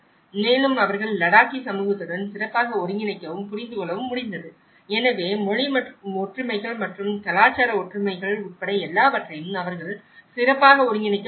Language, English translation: Tamil, And they could able to better integrate with the Ladakhi community and understand, so including the language similarities and the cultural similarities they were able to integrate better